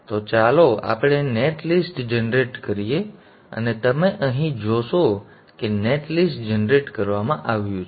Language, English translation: Gujarati, So let us generate the net list and you would see here that the net list has been generated